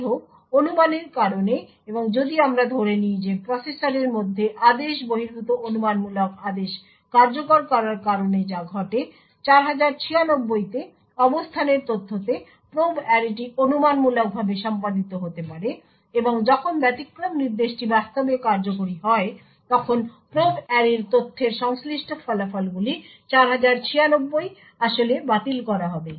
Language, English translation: Bengali, However, due to speculation and if we consider what happens within the processor due to speculative out of order execution, the probe array at the location data into 4096 maybe speculatively executed and when the exception instruction is actually executed the results corresponding to probe array data into 4096 would be actually discarded